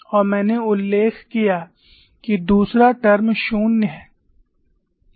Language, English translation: Hindi, Mind you the second term is 0 here